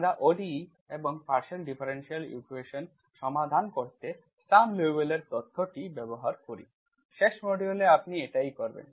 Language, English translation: Bengali, We make use of this Sturm Liouville theory of ODEs, for ODEs and use that to solve partial differential equations, that is what you do in the last module